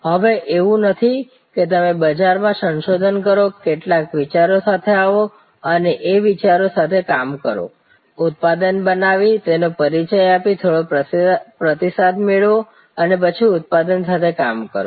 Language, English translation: Gujarati, So, it is no longer that you do market research, come up with some ideas, tinker with some ideas, create a product and then introduce the product, get some feedback and then tinker with the product, no